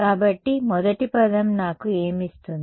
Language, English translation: Telugu, So, first term what does it give me